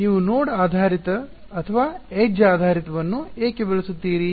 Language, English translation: Kannada, So, why would you use node based or edge based right